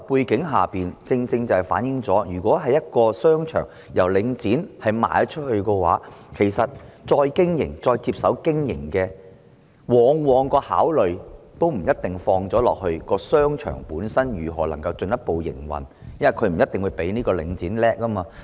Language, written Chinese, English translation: Cantonese, 這正正反映出在領展出售商場後，再接手經營的人的考慮，往往不一定着眼於如何能夠進一步營運商場，因為他們不一定較領展厲害。, This has precisely shown that after Link REIT sold the shopping arcades the owners who have taken over may not necessarily give emphasis to furthering the operation of the shopping arcades in their consideration because they may not be as shrewd as Link REIT